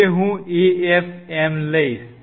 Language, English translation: Gujarati, Now, I take afm